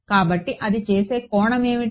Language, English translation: Telugu, So, what is the angle it makes